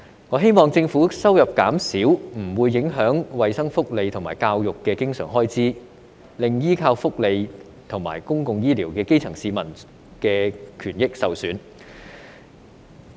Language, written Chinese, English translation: Cantonese, 我希望政府收入減少不會影響衞生福利和教育的經常開支，令依靠福利和公共醫療的基層市民的權益受損。, I hope that reduction in government revenue will not affect the recurrent expenditure on health welfare and education and undermine the rights and interests of the grass roots who rely on welfare and public healthcare services